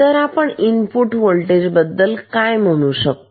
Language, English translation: Marathi, Then, what can we say about the input voltage